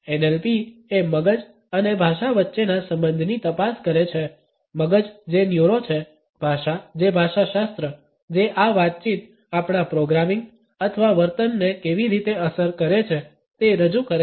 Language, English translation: Gujarati, NLP delves into the relationship between the mind that is the neuro, the language which is the representation of linguistics offering how these interactions impact our programming or behaviour